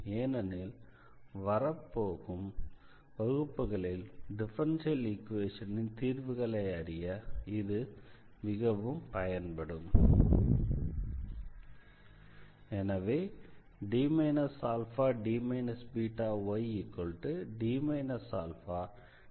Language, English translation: Tamil, So, this is a very important effect here which will be used in following lectures to discuss the solution of the differential equations